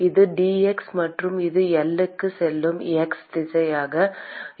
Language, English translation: Tamil, This is dx and let us this be the x direction going to L